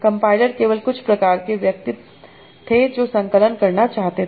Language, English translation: Hindi, Compiler was mainly some sort of person who used to compile